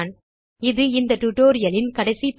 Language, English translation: Tamil, This is the last part of this tutorial